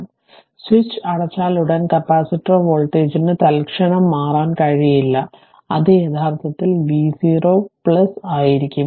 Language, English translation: Malayalam, So as soon as the switch is close that your what you call capacitor voltage cannot change instantaneously that means, it will be actually v 0 plus